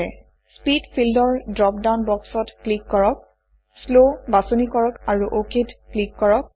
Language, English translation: Assamese, In the Speed field, click on the drop down box, select Slow and click OK